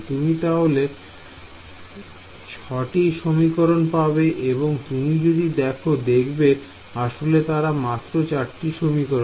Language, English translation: Bengali, You will get 6 equations and try to see how you actually they are basically only 4 equations, so very simple exercise